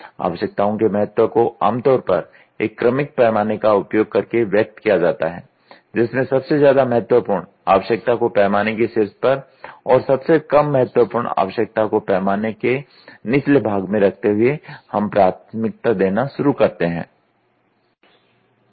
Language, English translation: Hindi, The importance of needs is usually expressed using an ordinal scale in which the most important need are placed at the top of the scale and the least at the bottom of the scale we start doing the prioritising